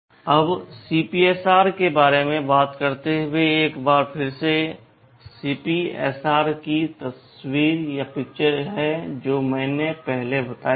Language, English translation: Hindi, Now, talking about the CPSR once more this is again the picture of the CPSR I told earlier